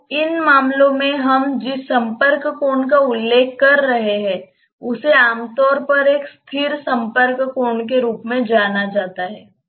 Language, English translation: Hindi, So, the contact angle that we are referring to in these cases is commonly known as a static contact angle